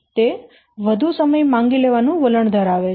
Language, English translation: Gujarati, It tends to be more time consuming